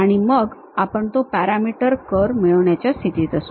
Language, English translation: Marathi, So, that one will we will be in a position to get a parameter curve